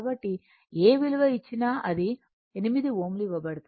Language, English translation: Telugu, So, whatever value comes it is your 8 ohm it is given